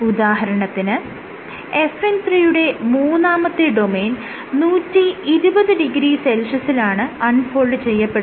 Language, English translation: Malayalam, So, third domain of FN 3 unfolds at 120 three degree Celsius so on and so forth